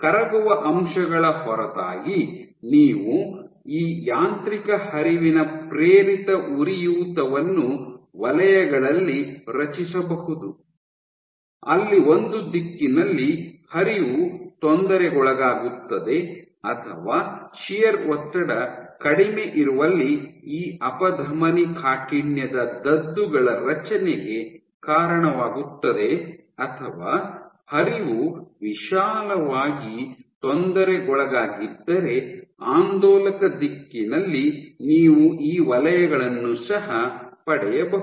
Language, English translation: Kannada, So, this shows you that other than soluble factors you can have this mechanical flow induced inflammation created in zones where flow gets disturbed in either one direction or where the shear stress is low that leads to buildup of these atherosclerosis plaques or if the flow is disturbed in wider direction in oscillatory then also you can get these zones with that I Thank you for your attention